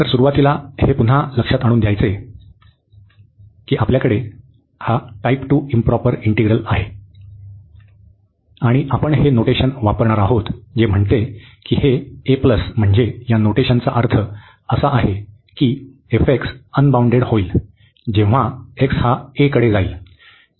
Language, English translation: Marathi, So, to start with so we have again to remind we have this type 2 integrals the improper integral, and we will be using this notation which says that this a plus this notation means, this f x becomes unbounded, when x goes to a